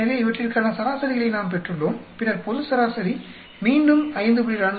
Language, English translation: Tamil, So, we got the averages for these and then global average will be again you should 5